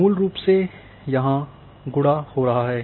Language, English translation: Hindi, So, you know it is basically multiplying here